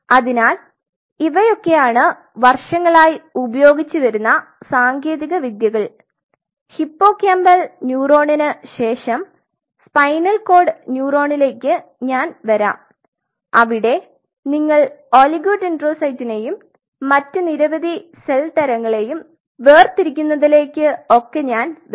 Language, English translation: Malayalam, So, these are some of the technologies which has been achieved over the years like the very first technology I will I will come of the hippocampal neuron I will come above this panocord neuron where you have to separate out the oligodendrocyte and several other cell types there I will come to that